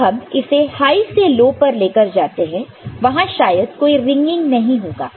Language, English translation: Hindi, When you are taking it from high to say low right, so it may not there may be a ringing